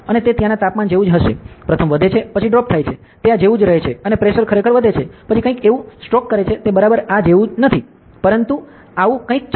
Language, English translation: Gujarati, And it will be like the temperature there, the first increases then drop, it stays similar like this and the pressure actually increases, then Strokes something like this, it is not exactly like this, but something like this